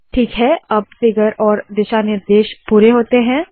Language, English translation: Hindi, Alright, that completes the figure and the guidelines